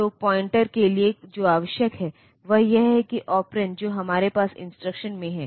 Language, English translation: Hindi, So, for pointer what is required is that the operand that we have in the instruction